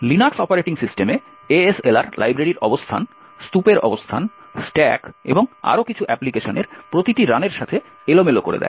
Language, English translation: Bengali, In the Linux operating systems ASLR would randomize the locations of libraries, the location of the heap, the stack and so on with each run of the application